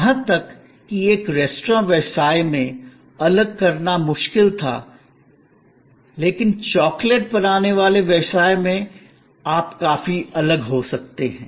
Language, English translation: Hindi, Even in a restaurant business, it was difficult to segregate, but in a business manufacturing chocolate, you could quite separate